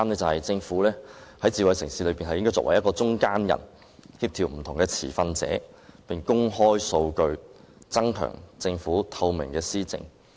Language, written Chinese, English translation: Cantonese, 第三，政府應該擔當智慧城市的中間人角色，協調不同持份者並且公開數據，增強政府施政的透明度。, Thirdly the Government should play the role of an intermediary to effect coordination among different stakeholders and make the data open to the public so as to enhance the transparency of administration